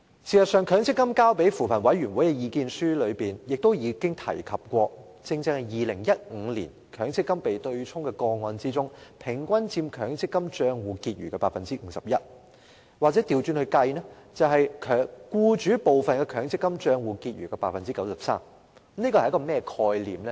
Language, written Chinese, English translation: Cantonese, 事實上，強制性公積金計劃管理局向扶貧委員會提交的意見書亦提及，在2015年強積金被對沖的個案中，抵銷款額平均佔強積金戶口結餘的 51%， 又或是佔僱主部分的強積金戶口結餘的 93%。, In fact the submission of the Mandatory Provident Fund Schemes Authority to the Commission on Poverty also mentioned that among the cases in which MPF benefits were offset in 2015 the amount of offsetting claims accounted for 51 % of the account balance or 93 % of the employers portion of account balance on average